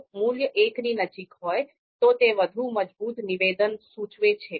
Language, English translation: Gujarati, If the value is closer to one, then it indicates stronger assertion